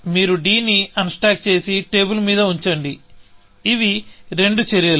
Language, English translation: Telugu, You unstack d, put it on the table; that is two actions